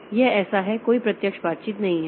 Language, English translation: Hindi, So, this is so there is no direct interaction